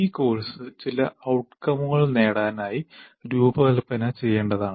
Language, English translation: Malayalam, So, and this course has to be designed to meet certain outcomes